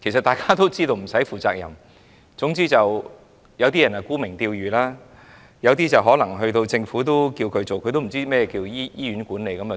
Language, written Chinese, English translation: Cantonese, 大家都知道不需要負責任，有些人沽名釣譽，有些人獲政府委任卻對醫院管理一曉不通。, As we all know it does not have to take up responsibility . Some appointees are eager to strive for reputation while some appointees know nothing about hospital management